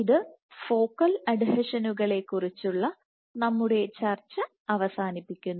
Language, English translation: Malayalam, So, this brings to an end our discussion on focal adhesions